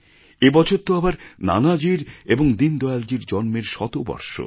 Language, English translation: Bengali, This is the centenary year of Nanaji and Deen Dayal ji